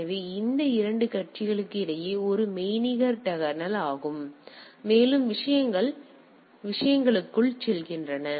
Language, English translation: Tamil, So, it is sort of a virtual tunnel is made between these 2 parties and the things goes to the things right